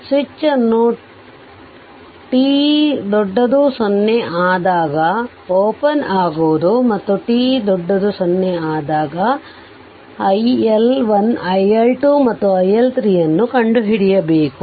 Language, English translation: Kannada, The switch is open at t greater than 0 right and the you have to determine iL1 iL2 and iL3 for t greater than 0